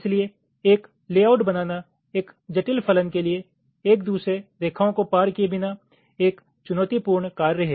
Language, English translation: Hindi, so generating a layout for a complex function without the lines crossing each other is a challenging task